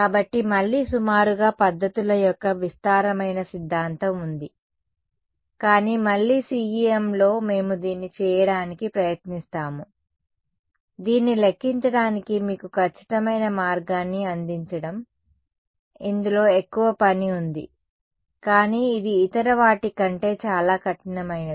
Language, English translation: Telugu, So, again there is a vast theory of approximate methods, but again in CEM what we will try to do is give you an exact way of calculating this, there is more it is more work, but it is a more rigorous than in the other case